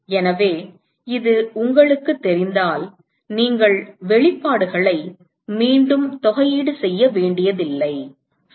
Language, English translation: Tamil, So, if you know this, you do not have to integrate the expression again all right